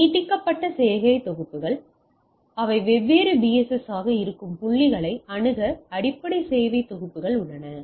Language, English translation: Tamil, So, extended service set so, there are basic service set to access point they are extend they are into different BSS